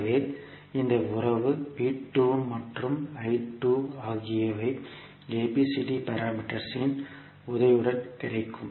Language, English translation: Tamil, So this relationship V 2 and I 2 we will get with the help of ABCD parameters